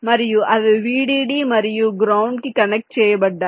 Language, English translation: Telugu, and they connected vdd and ground